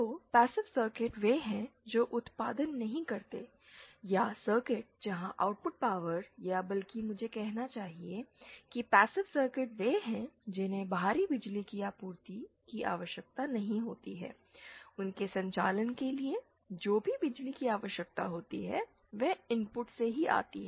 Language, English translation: Hindi, So, passive circuits are one which do not produce or circuits where the output power or rather I should say passive circuits are the ones which do not require external power supply whatever power they need for their operation come from the input itself